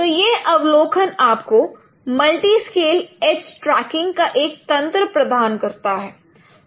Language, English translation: Hindi, So this analysis gives you a mechanism of multi scale age tracking